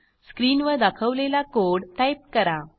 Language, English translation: Marathi, Type the piece of code as shown on the screen